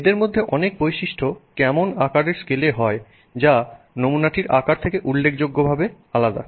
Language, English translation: Bengali, Many of those properties happen at a size scale that is significantly different from the size of that sample